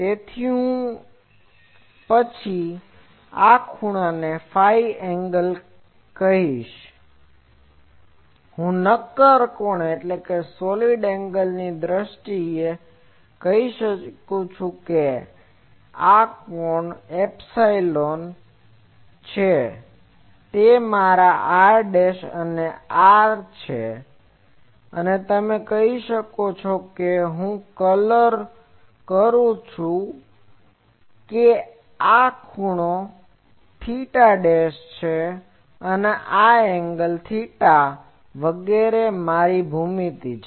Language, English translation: Gujarati, So, then this angle will be called phi angle and I can say in terms of solid angle that this angle will be let me call psi that is r dash, this is r and you can say that I colour that this angle is theta dashed and this angle is theta etc